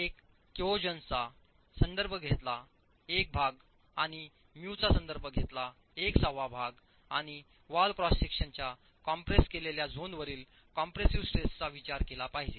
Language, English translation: Marathi, 1 referring to the cohesion and 1 6 referring to mu and the compressive stress on the compressed zone of the wall cross section has to be taken into account